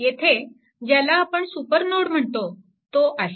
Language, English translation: Marathi, So, this is actually super node, right